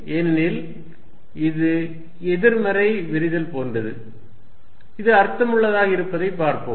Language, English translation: Tamil, Because, that is like negative divergence, let us see make sense